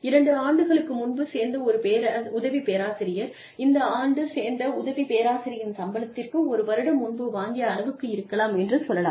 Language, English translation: Tamil, And, to move from, say, an assistant professor, who joined two years ago, the salary, this person gets, to the salary of an assistant professor, who joined, may be, one year ago, is not too much